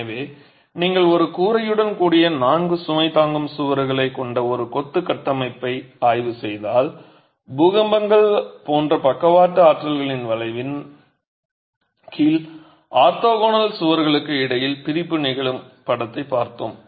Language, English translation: Tamil, So, if you were to examine a masonry structure as composed of four load bearing walls with a roof and we have seen a picture where separation between the orthogonal walls happens under the effect of lateral forces like earthquakes